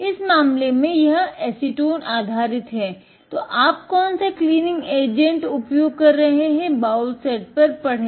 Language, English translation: Hindi, In this case, it is acetone based, so read on the bowl set which cleaning agent you are using